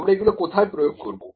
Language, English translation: Bengali, So, where do we apply these